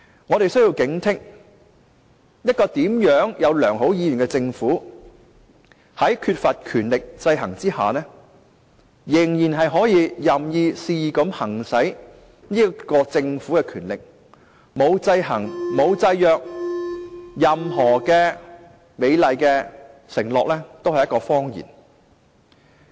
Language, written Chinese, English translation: Cantonese, 我們需要警惕，一個政府，無論它有甚麼良好意願，在缺乏權力制衡之下，仍可任意、肆意地行使其權力；在沒有制衡和制約之下，任何美麗承諾皆是謊言。, We must be vigilant . No matter what good intentions a government has it can still use its powers arbitrarily and wilfully if there are no checks and balances . Without checks and balances all rosy promises are nothing but lies